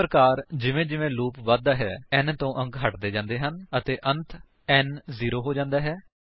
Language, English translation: Punjabi, And so on as the loop progresses, the digits will be removed from n and finally n becomes zero